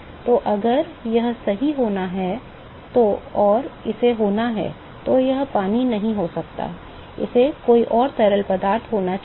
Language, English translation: Hindi, So, if this has to be correct, and it has to, it cannot be water, it has to be some other fluid